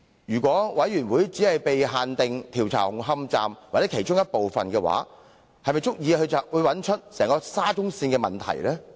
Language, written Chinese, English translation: Cantonese, 如調查委員會的調查範圍只限於紅磡站或其中的一部分，是否足以識別出沙中線所有問題？, If the Commission of Inquiry only focuses its inquiry on Hung Hom Station or even on part of the Station will it be able to identify all the problems involving SCL?